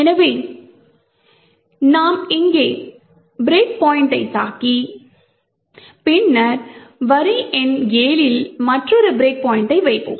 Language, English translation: Tamil, So, we would hit the break point over here and then we would put another break point in line number 7